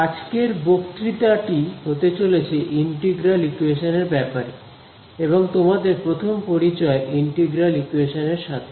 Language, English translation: Bengali, Today’s lecture is going to be about Integral Equations and your very first Introduction to an Integral Equation